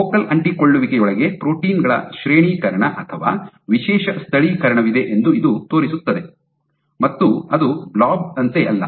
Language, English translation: Kannada, So, this shows that there is a gradation or special localization of proteins within the focal adhesion, it is not like a blob